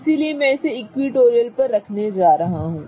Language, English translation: Hindi, So, I'm going to put it on one of those equatorial positions